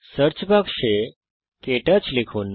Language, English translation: Bengali, In the Search box type KTouch